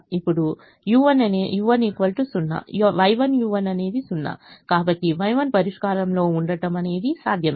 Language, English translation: Telugu, now u one equal to zero, y one, u one is zero, so it is possible that y one is in the solution